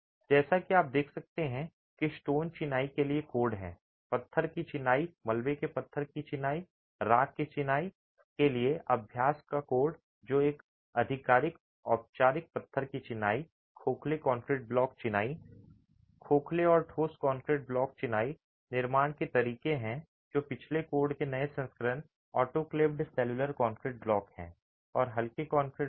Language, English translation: Hindi, So, as you can see, there are codes for stone masonry, a code of practice for stone masonry, rubble stone masonry, ashlar masonry, which is a more formal stone masonry, hollow concrete concrete block masonry, hollow and solid concrete block masonry, construction methods, that's a late, a newer version of the previous code, autoclaved cellular concrete blocks, and lightweight concrete blocks